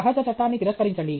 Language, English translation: Telugu, Deny a natural law